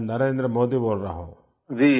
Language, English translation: Hindi, This is Narendra Modi speaking